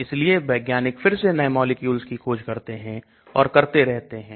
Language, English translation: Hindi, So again scientist starts discovering new molecules and so on